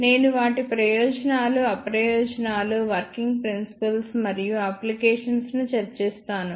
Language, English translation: Telugu, I will discuss their advantages, disadvantages, working principle and applications